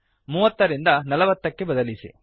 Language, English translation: Kannada, Change 30 to 40